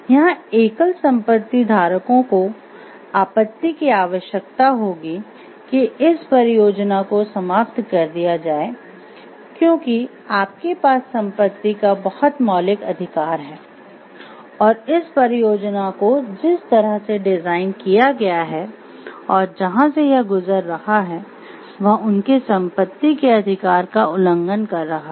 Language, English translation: Hindi, A single property holders objection would require that the project be terminated why because you have a very fundamental right to property and this project the way that it is designed the way that it is passing through is violating that right